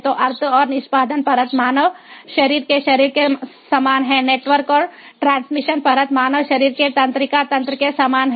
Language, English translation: Hindi, the network and transmission layer is very similar to the nervous system of the human body and the decision layer is very, ah, very similar to the brain of the human body